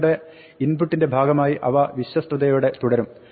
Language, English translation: Malayalam, They will remain faithfully as part of your input